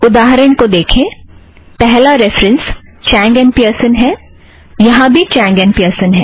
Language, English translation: Hindi, See the example, the first reference is Chang and Pearson, here also Chang and Pearson